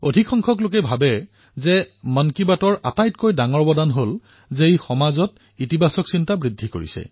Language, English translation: Assamese, Most people believe that the greatest contribution of 'Mann Ki Baat' has been the enhancement of a feeling of positivity in our society